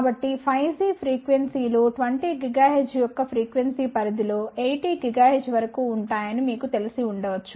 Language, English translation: Telugu, So, as you might be knowing that 5 g frequencies will be in the frequency range of 20 gigahertz to maybe even 80 gigahertz